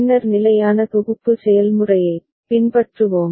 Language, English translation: Tamil, Then we shall follow the standard synthesis process